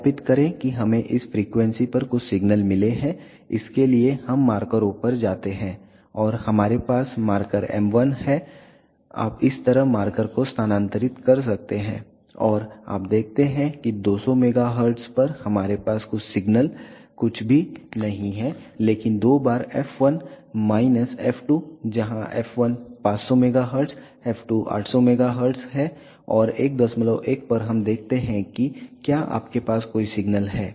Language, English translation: Hindi, Verify that we get some signals at this frequencies for that let us go to markers and we have marker m 1 you can move the marker like this, and you observe that at 200 megahertz we do have some signal is nothing, but twice f 1 minus f 2 where f 1 is 500 megahertz f 2 is 800 megahertz and at 1